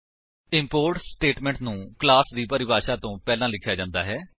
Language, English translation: Punjabi, The import statement is written before the class definition